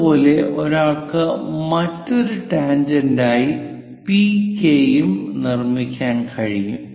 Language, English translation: Malayalam, Similarly, one can construct PK also as another tangent